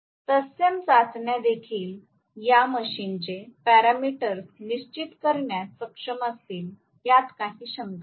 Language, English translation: Marathi, Similar tests are going to be able to determine the parameters for this machine as well, no doubt